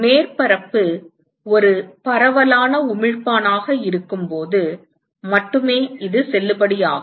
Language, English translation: Tamil, This is valid only when the surface is a diffuse emitter